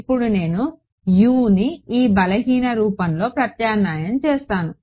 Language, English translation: Telugu, So, what I am going to do is substitute U into the weak form ok